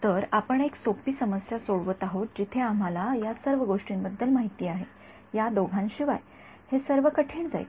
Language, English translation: Marathi, So, we are solving a simpler problem where we know everything except these two these itself is going to be difficult